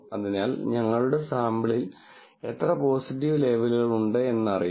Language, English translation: Malayalam, So, how many positive labels are there, totally in our sample